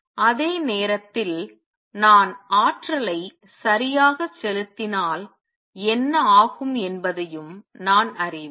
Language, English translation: Tamil, At the same time I also know what happens if I pump in energy right